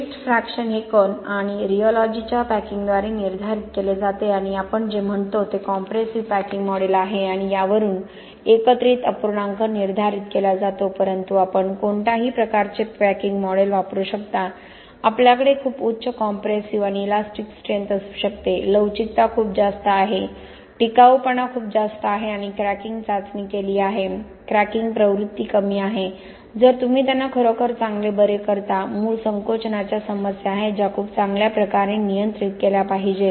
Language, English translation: Marathi, So in summary, you have a multilevel particle packing approach both for the paste a fraction as well as for the aggregate fraction, paste fraction dictated by packing of particles and rheology, aggregate fraction dictated by what we say is a compressible packing model but you can use any kind of packing model, you can have very high compressive and flexural strength, ductility is very high, durability is very high, we have done cracking test, cracking propensity is low provided you cure them really really well, there are issues with original shrinkage which has to be very well controlled